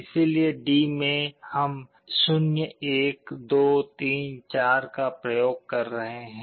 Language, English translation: Hindi, So, in D we are applying 0, 1, 2, ,3 4